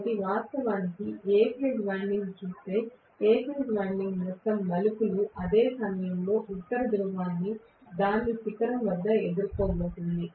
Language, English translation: Telugu, So, if I look at actually A phase winding, A phase winding the entire number of turns are going to face the North Pole at its peak at the same instant